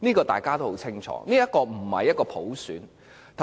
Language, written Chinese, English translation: Cantonese, 大家都很清楚，這並非普選。, We know very well that this is not an election by universal suffrage